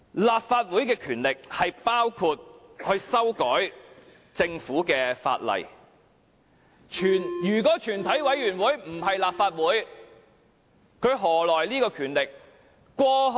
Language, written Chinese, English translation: Cantonese, 立法會的權力包括修改政府的法例，如果全體委員會不是立法會，它何來權力？, The powers of the Legislative Council include amending government legislation . If a committee of the whole Council does not refer to the Legislative Council from where does it derive this power?